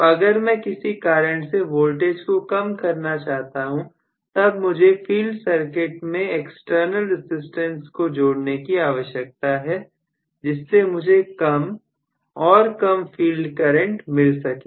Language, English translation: Hindi, So, if want to reduce the voltage for some reason, then I might have to include an external resistance in the field circuit so, that I get less and less value of field current